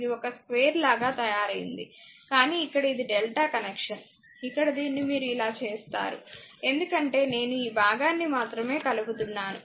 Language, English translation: Telugu, It is made it like a square, but this is a delta connection because here you here you can make this connection like this right suppose only I have driving this portion